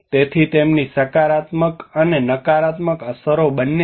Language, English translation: Gujarati, So they have both positive and negative impacts